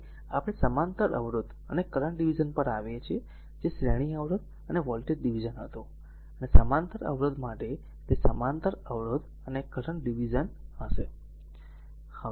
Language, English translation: Gujarati, Now, we come to the parallel resistor, and the current division, that was series resistor and voltage division, and for in parallel resistor, it will be parallel resistors and current division, right